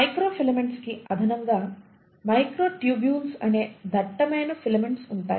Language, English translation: Telugu, In addition to microfilaments, there are slightly more thicker filaments which are called as microtubules